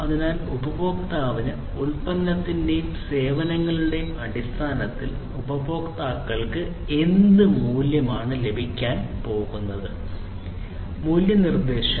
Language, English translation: Malayalam, So, what value it is going to have to the customers in terms of the product and the services it is offering to the customer; value proposition